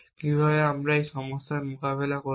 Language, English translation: Bengali, So, how do we get around this problem